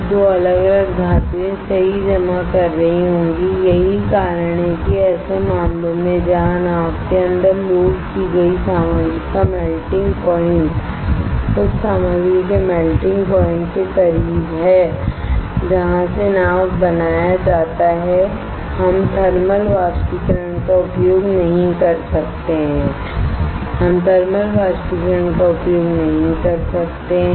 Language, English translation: Hindi, 2 different metals will be depositing right that is why in such cases where your melting point of the material loaded inside the boat is close to the melting point of the material from which boat is made we cannot use thermal evaporator, we cannot use thermal evaporator